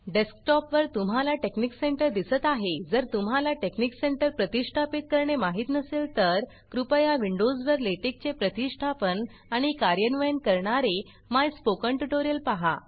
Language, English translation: Marathi, On the desktop you see texnic center, in case you dont know how to install texnic center, please go through my spoken tutorial on installing and running LaTeX on Windows